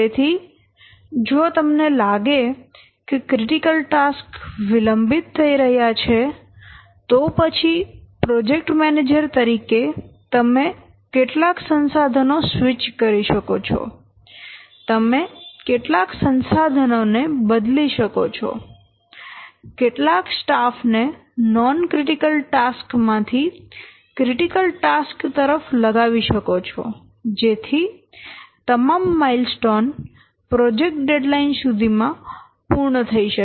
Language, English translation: Gujarati, So, if you find that the critical tax they are getting delayed then as a project manager you may switch some of the resources, you may differ some of the resources, some of the manpower from the non critical tax to the critical tax so that all mindstones along the critical path they will be made